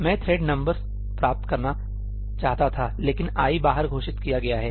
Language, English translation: Hindi, I wanted to get the thread number, but ëií is declared outside